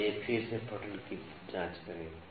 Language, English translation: Hindi, Now, let us check the reading again